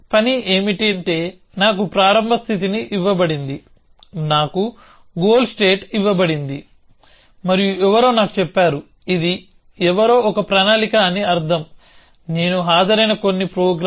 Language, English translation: Telugu, The task is that I have been given a start state, I have been given a goal state and somebody tells me that, this is a plan somebody meaning some program that I have attend